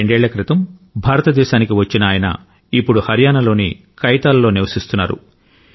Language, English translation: Telugu, Two years ago, he came to India and now lives in Kaithal, Haryana